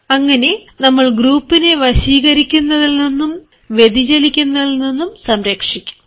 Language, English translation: Malayalam, we will save the group from getting sidetracked or getting deviated